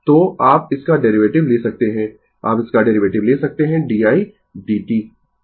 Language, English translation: Hindi, So, you take the derivative of this one, you take the derivative of this one d i d t right